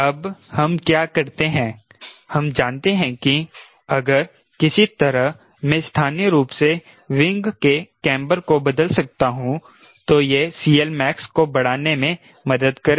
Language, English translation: Hindi, ok, now what we do is we know that if somehow, if i can change the camber of the wing locally, it will help in increasing c l max